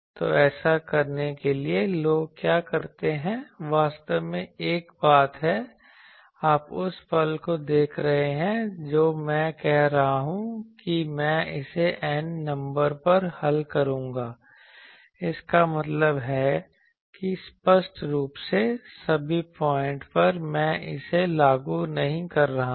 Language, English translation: Hindi, So, to do that what people do there is a thing actually you see the moment I am saying that I will solve it on capital N number; that means obviously, at all the points I am not enforcing it